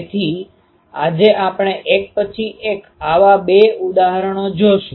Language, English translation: Gujarati, So, the 2 such examples today we will see one by one